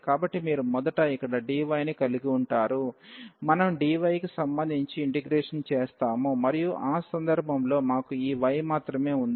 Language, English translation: Telugu, So, you will have here dy first we will be integrating with respect to dy and in that case we have only this y there